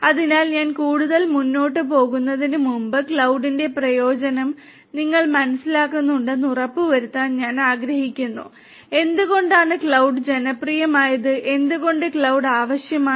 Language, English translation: Malayalam, So, before I go any further I would like to you know make sure that you understand the utility of cloud, why cloud is so popular, why cloud is necessary